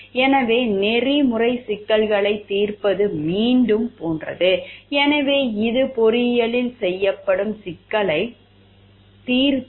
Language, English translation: Tamil, So, ethical problem solving is like again, so which is a problem solving which is done in engineering